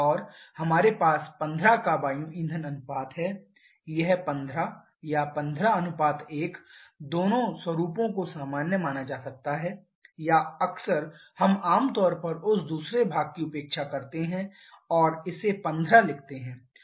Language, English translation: Hindi, And we have an air fuel ratio of 15, this 15 or 15:1 both format can be considered general or quite often we generally neglect that second part and write it as 15